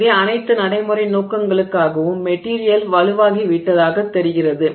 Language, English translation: Tamil, So, for all practical purposes it appears that the material has become stronger